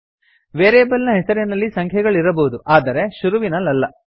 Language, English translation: Kannada, A variable name can have digits but not at the beginning